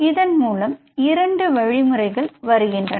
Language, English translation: Tamil, So there are two processes